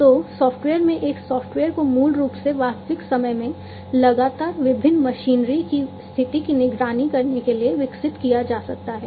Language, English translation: Hindi, So, with the help of software in a software can be developed to basically monitor the condition of the different machinery in real time continuously and so, on